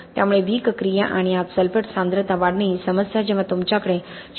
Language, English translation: Marathi, So this issue of wick action and increase in the sulphate concentration inside seizes to be a major problem when you have more than 0